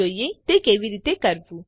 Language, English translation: Gujarati, Lets see how to do this